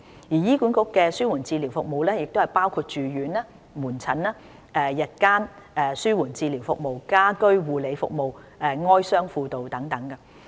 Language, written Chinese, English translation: Cantonese, 醫管局的紓緩治療服務包括住院、門診、日間紓緩治療服務、家居護理服務、哀傷輔導等。, Palliative care services provided by HA include inpatient outpatient day care and home care services and bereavement services etc